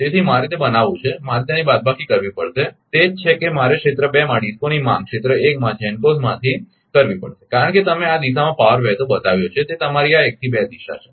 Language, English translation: Gujarati, So, I have to make it I have to minus it that is I have to subtract, that is why demand of DISCOs in area 2 from GENCOs in area 1 because, it is your 1 to 2 this direction you have taken power is flowing